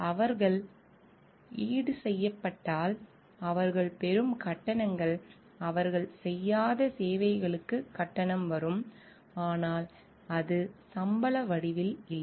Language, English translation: Tamil, And they are compensated for the fees the, fees that they get if they are compensated that fees comes for the services they render not but it is not in form of salaries